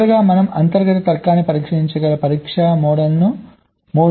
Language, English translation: Telugu, and lastly, let us look at ah test mode, using which we can test the internal logic